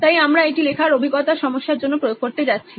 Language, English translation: Bengali, So we’re going to apply it to the writing experience problem